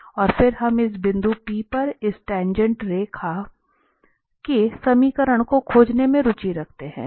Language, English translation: Hindi, And then we are interested here to find the equation of this tangent line at this point P